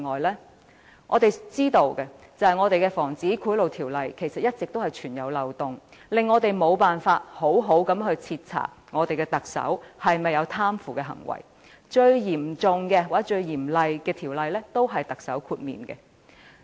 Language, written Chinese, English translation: Cantonese, 以我們所知，本港的《防止賄賂條例》一直存在漏洞，令我們無法好好徹查特首有否貪腐行為，因為規管最嚴格或嚴厲的條例，特首都可獲豁免。, According to our understanding since there are loopholes in our Prevention of Bribery Ordinance POBO a thorough investigation cannot often be conducted of the alleged corruption of the Chief Executive because the Chief Executive is exempted from the most stringent regulation imposed by the toughest law